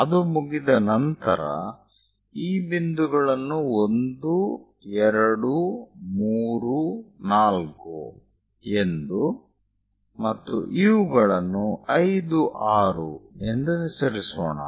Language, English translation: Kannada, Once it is done, let us name these points 1, 2, 3, 4 all the way 5, 6, this is the 7th point, 8th, 9